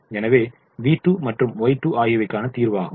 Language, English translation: Tamil, so v two and y two are in the solution